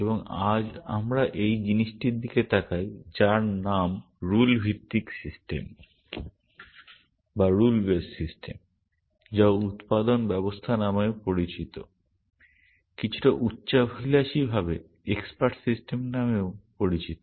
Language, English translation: Bengali, And today we look at this thing called rule based systems, also known as production systems, also somewhat ambitiously known as expert systems